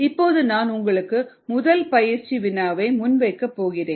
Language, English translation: Tamil, ok, now i am going to present the first practice, problem ah